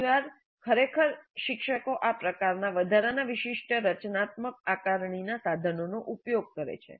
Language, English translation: Gujarati, Now quite often actually teachers use these kind of additional specific formative assessment instruments